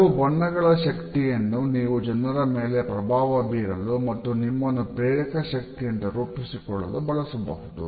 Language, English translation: Kannada, You can use the power of certain colors to influence people and make yourself more persuasive